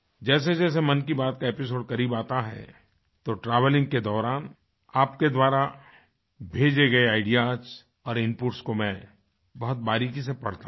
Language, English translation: Hindi, Andas the episode of Mann Ki Baat draws closer, I read ideas and inputs sent by you very minutely while travelling